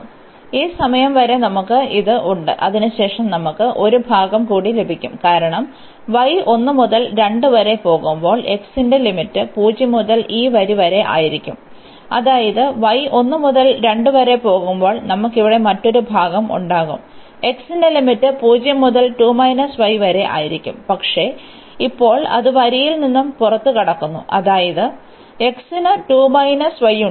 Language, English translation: Malayalam, So, up to this point we have this and then we will have one more part because when y goes from 1 to 2, then the limits of x will be from 0 to this line; that means, we will have another part here when y goes from 1 to 2 the limits of x will be again from 0 to, but now it exists exit from the line; that means, there x is 2 minus y